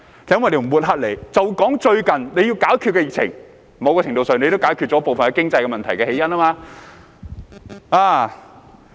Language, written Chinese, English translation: Cantonese, 就來談談最近當政府應對疫情時，某程度上也解決了部分經濟問題的起因。, Let us talk about the fact that the Government has also solved some causes of the economic problems to a certain extent when dealing with the epidemic recently